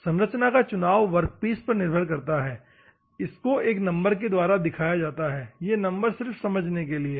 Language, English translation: Hindi, The selection of structure depends on the type of workpiece required, indicates the number this is number is just for your understanding